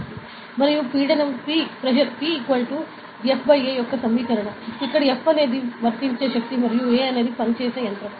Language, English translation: Telugu, And the equation of pressure P is equal to F by A, where; F is the force applied and A is the area on which it is acting